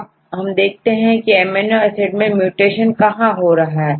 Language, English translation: Hindi, So, now, we can see the mutations whether these 2 amino acids